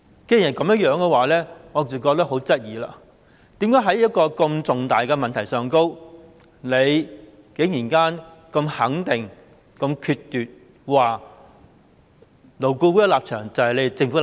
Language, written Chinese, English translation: Cantonese, 既然如此，我不禁要質疑，為甚麼在一個這麼重大的問題上，局長可以這麼肯定、決絕地說，勞顧會的立場就是政府的立場。, In that case I cannot help asking why on such an important issue the Secretary could say so firmly and decisively that the position of LAB was the decision of the Government